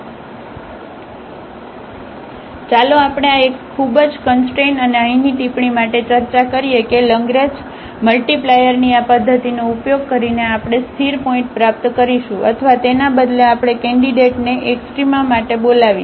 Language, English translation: Gujarati, So, anyway let us discuss for this one very one constraint and the remark here that using this method of Lagrange multiplier, we will obtain the stationary point or rather we call the candidates for the extrema